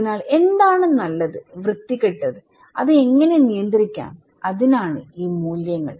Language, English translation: Malayalam, So, what is good ugly, how to control that one these values okay